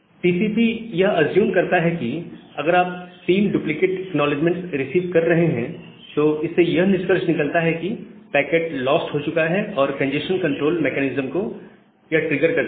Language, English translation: Hindi, So, TCP assumes that if you are receiving three duplicate acknowledgements, then it implies that the packet has been lost, and it triggers the congestion control mechanism